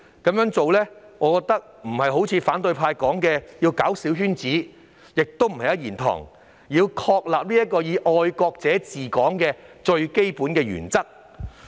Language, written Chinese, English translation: Cantonese, 我認為這並非反對派所說的搞小圈子，亦不是"一言堂"，而是確立"愛國者治港"的最基本原則。, In my view instead of forming small circles or allowing only one voice to be heard as the opposition camp suggests this is a way to establish the fundamental principle of patriots administering Hong Kong